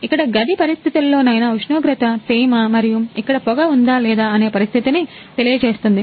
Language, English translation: Telugu, Here is room condition is temperature, humidity and what is condition is there is smoke or not